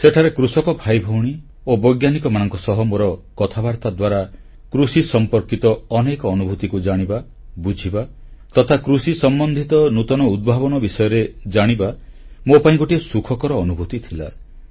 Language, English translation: Odia, It was a pleasant experience for me to talk to our farmer brothers and sisters and scientists and to listen and understand their experiences in farming and getting to know about innovations in the agricultural sector